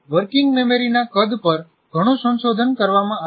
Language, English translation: Gujarati, There is a lot of research done what is the size of the working memory